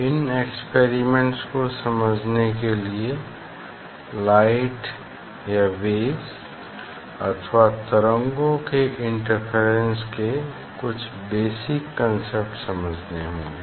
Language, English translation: Hindi, to understand those experiments, some basic concept of interference of light or waves should be clear